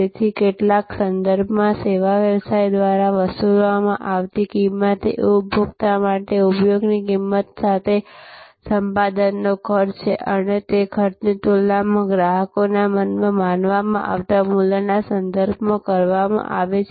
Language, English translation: Gujarati, So, in some respect therefore, the price charged by the service business is a cost of acquisition to the cost of use for the consumer and that cost is compared in customers mind with respect to the value perceived